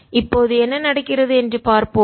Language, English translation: Tamil, let's see what happens now